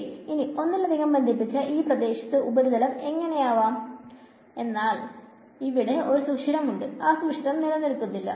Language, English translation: Malayalam, Now in a multiply connected region, what we will have is let us say a surface like this, but let us say there is a hole in it that hole does not exist